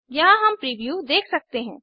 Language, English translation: Hindi, Here we can see the Preview